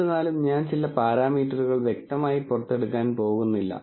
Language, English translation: Malayalam, Nonetheless I am not going to explicitly get some parameters out